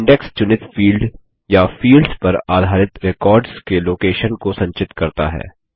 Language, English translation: Hindi, The Index stores the location of records based on the chosen field or fields